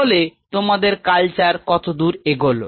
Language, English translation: Bengali, So, how far is your culture